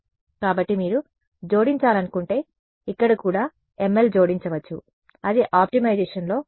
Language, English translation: Telugu, So, if you want to add you can add ml over here also that is a part of optimization any